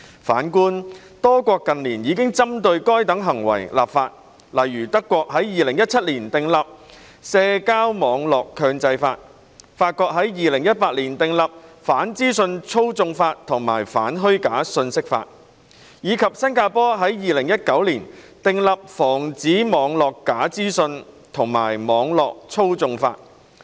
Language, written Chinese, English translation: Cantonese, 反觀多國近年已針對該等行為立法，例如德國於2017年訂立《社交網絡強制法》、法國於2018年訂立《反資訊操縱法》及《反虛假信息法》，以及新加坡於2019年訂立《防止網路假資訊和網路操縱法》。, On the contrary a number of countries have enacted legislation in recent years targeting such acts . For example Germany enacted the Network Enforcement Act in 2017 France enacted the Law Against the Manipulation of Information and the Law Against False Information in 2018 and Singapore enacted the Protection from Online Falsehoods and Manipulation Act in 2019